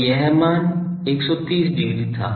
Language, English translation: Hindi, So, this value was 130 degree